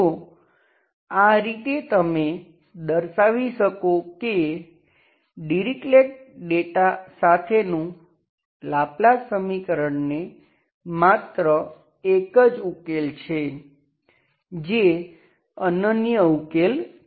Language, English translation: Gujarati, So in this way you can actually show that Laplace equation with the Dirichlet data is having only one solution, that is unique solution